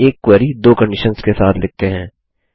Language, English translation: Hindi, Let us write a query with two conditions